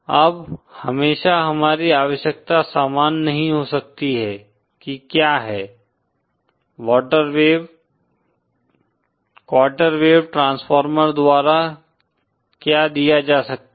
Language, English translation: Hindi, Now always our requirement may not be same as that what is, what can be provided by quarter wave transformer